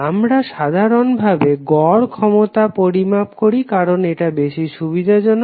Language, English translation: Bengali, We measure in general the average power, because it is more convenient to measure